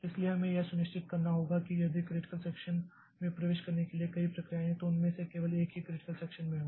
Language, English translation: Hindi, So, we have to ensure that if there are a number of processes in the critical section that only one of them is in the critical section